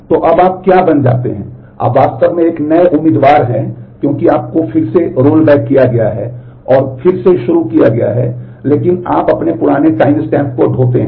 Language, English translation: Hindi, So, now what becomes you are you are actually a new candidate because you have been rolled back in and started again, but you carry your older timestamp